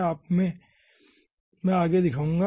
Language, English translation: Hindi, okay, next i will show you ah